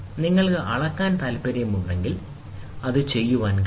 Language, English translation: Malayalam, If you want to measure, you can do it